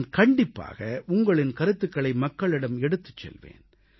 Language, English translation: Tamil, I will surely send your ideas and efforts to the people